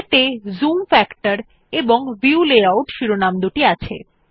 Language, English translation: Bengali, It has headings namely, Zoom factorand View layout